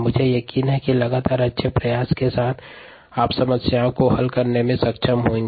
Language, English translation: Hindi, i am sure, with the consistent, good effort, you would be able to solve problems